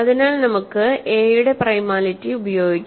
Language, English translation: Malayalam, So, suppose we have a is equal to bc